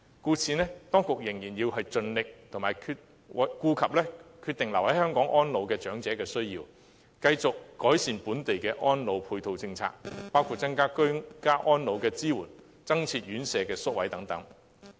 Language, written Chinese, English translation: Cantonese, 故此，當局仍然要盡力照顧決定留港安老長者的需要，繼續改善本地的安老配套政策，包括增加居家安老的支援、增建院舍宿位等。, Therefore the authorities should be fully committed to taking care of the needs of those who decide to spend their advanced years in Hong Kong and continuing to improve the complementary policies for local elderly care including offering more support services for ageing in place and increasing the number of residential care home places and so on